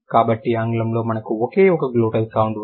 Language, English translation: Telugu, So, when it is glottles, there is only one glottal sound in English